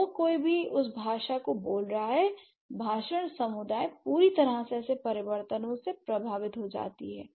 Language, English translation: Hindi, So, whoever is speaking that language, the speech community entirely that gets affected by such changes